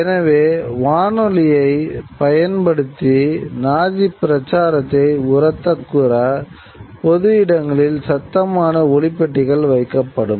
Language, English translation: Tamil, So, the loudspeakers would be placed in public places to blare out Nazi propaganda through the use of radio mechanism